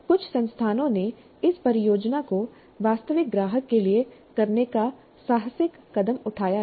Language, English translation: Hindi, And in some institutes, they have taken the bold step of having this project done for a real client